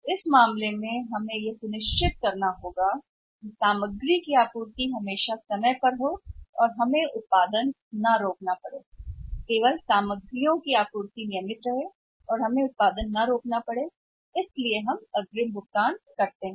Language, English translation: Hindi, So, in that case we want to make sure that supply of the material is always regular on the time and we are not stopping the production; we are not used to stop the production simply for the want of materials for that reason we make the advance payments